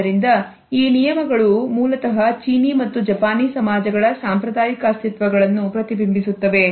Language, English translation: Kannada, So, these rules basically reflect the conventional makeup of Chinese and Japanese societies